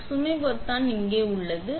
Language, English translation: Tamil, So, the load button is right here